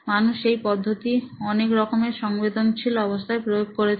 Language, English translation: Bengali, People have done the same method with multiple emotional states